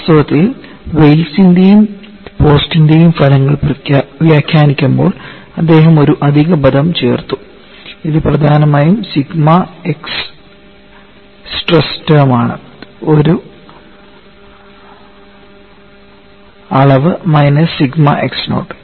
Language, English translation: Malayalam, In fact, while interpreting the results of Wells and Post, he added an extra term and this is to essentially the sigma x stress term quantity minus sigma naught x